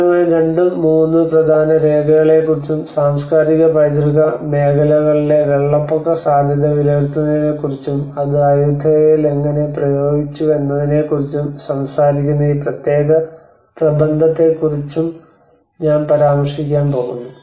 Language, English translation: Malayalam, I am going to refer about mainly two to three important documents and this particular paper Which talks about the disaster aspect of it where the flood risk assessment in the areas of cultural heritage and how it has been applied in the Ayutthaya